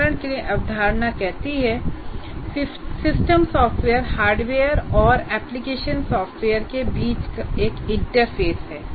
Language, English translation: Hindi, For example, system software is an interface between hardware and application software